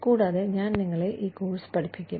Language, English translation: Malayalam, And, I will be helping you, with this course